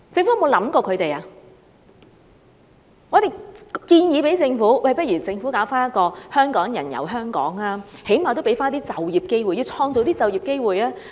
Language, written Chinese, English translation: Cantonese, 我們建議政府舉辦一些"香港人遊香港"的本地團，最少能夠創造一些就業機會。, We suggested the Government to organize some local tours of Hongkongers exploring Hong Kong which can at least create some job opportunities